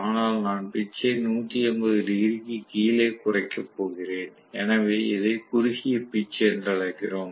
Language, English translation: Tamil, But I am going to reduce the pitch which is less than 180 degrees, so we call this as short pitching